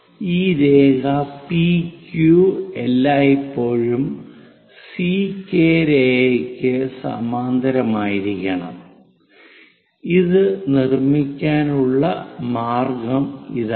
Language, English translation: Malayalam, And this line P Q always be parallel to C K line, this is the way one has to construct it